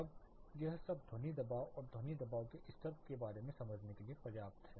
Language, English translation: Hindi, Now is this all enough to understand about the sound pressure and sound pressure level the characteristics of sound